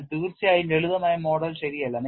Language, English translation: Malayalam, But definitely the simplistic model is not correct